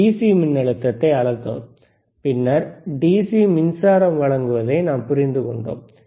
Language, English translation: Tamil, We have measured the DC voltage, then we have measured we have measured the we understood the DC power supply,